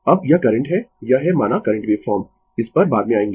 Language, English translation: Hindi, Now, this is the current this is the say current waveform will come to this later